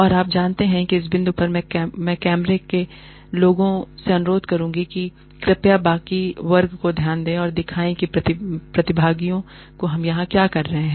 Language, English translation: Hindi, And, you know, at this point, I would request the camera people to, please, just focus on the rest of the class, and show the participants, what we are doing here